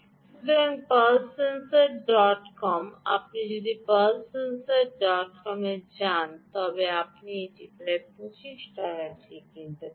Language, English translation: Bengali, if you go to pulse sensor dot com, you can by this at roughly twenty five dollars